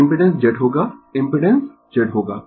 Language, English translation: Hindi, So, impedance will be Z right, impedance will be Z right